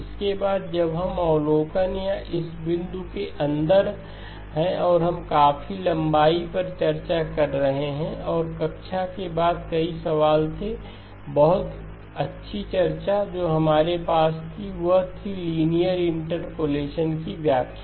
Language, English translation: Hindi, Then after we have this inside the observation or the point that we were discussing quite at length and there were several questions after class, very good discussion that we had, was what is the interpretation of linear interpolation